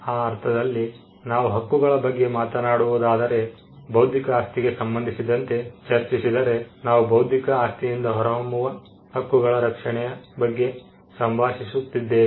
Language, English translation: Kannada, In that sense when we talk about rights, when in connection with intellectual property, we are talking about rights that emanate from the intellectual property which are capable of being protected